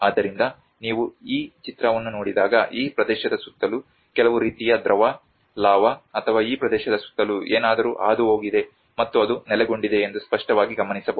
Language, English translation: Kannada, So, when you look at this image, obviously one can notice that there has been some kind of liquid, lava or something which has been flown around this region and it has got settled down